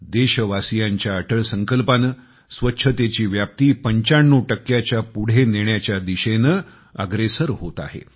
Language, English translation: Marathi, On account of the unwavering resolve of our countrymen, swachchata, sanitation coverage is rapidly advancing towards crossing the 95% mark